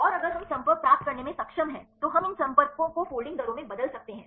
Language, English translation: Hindi, And if we are able to get the contacts, then we can convert these contacts into folding rates